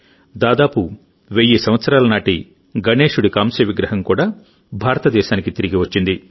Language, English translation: Telugu, Nearly a thousand year old bronze statue of Lord Ganesha has also been returned to India